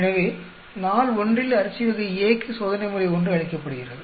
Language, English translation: Tamil, So, the treatment one is given to rice variety A on day one